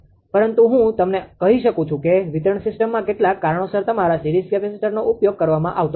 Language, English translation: Gujarati, But let me tell you in distribution system that your series capacitors are not being used due to some reason